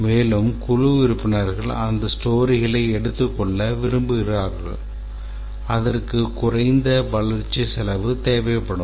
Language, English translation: Tamil, And the team members will like to take up those stories which will require least cost of development